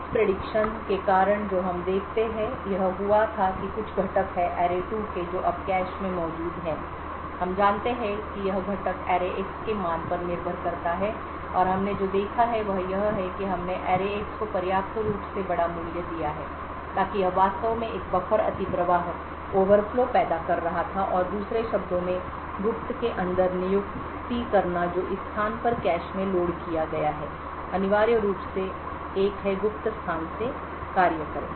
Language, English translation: Hindi, Due to the miss prediction that had occurred however what we observe is that there is some component of array2 that is present in the cache now we know note that this component depends on the value of array[x]and what we have seen is that we have given a sufficiently large value of array[x] so that it was actually causing a buffer overflow and appointing inside the secret in other words what has been loaded into the cache at this location is essentially a function off the secret location